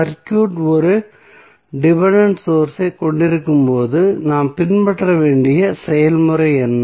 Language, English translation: Tamil, So, what the process we need to follow when the circuit contains a dependent source